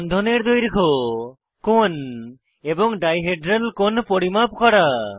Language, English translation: Bengali, * Measure bond lengths, bond angles and dihedral angles